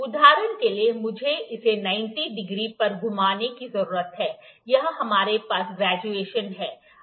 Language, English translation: Hindi, For instance I need to rotate it at 90 degree, here we have the graduation here we have the graduation here